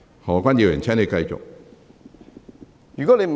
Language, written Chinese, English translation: Cantonese, 何議員，請繼續發言。, Dr HO please continue with your speech